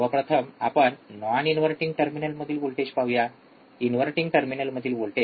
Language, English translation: Marathi, So, let us first see voltage at non inverting terminal, voltage at the inverting terminal 0